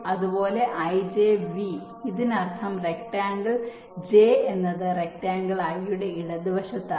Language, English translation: Malayalam, this means rectangle j is on the left of rectangle i